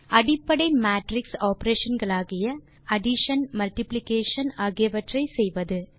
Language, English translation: Tamil, Do basic matrix operations like addition,multiplication